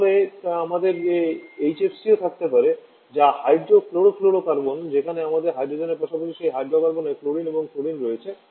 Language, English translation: Bengali, Then we can also have HCFC that is hydro chlorofluorocarbon where we have hydrogen also along with chlorine and fluorine in that hydrocarbon